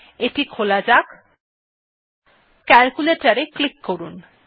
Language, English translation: Bengali, Lets open this, click on calculator